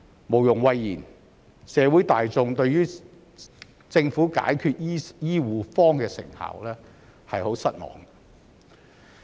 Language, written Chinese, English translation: Cantonese, 無庸諱言，社會大眾對於政府解決醫護荒的成效很失望。, Needless to say members of the public are disappointed at the effectiveness of the Government in resolving the shortage of healthcare manpower